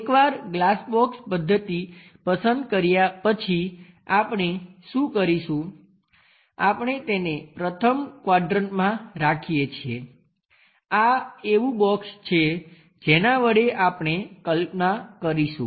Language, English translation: Gujarati, Once it is chosen as glass box method, what we are going to do is; we keep it in the first quadrant this box something like this is the box what we are going to construct imaginary one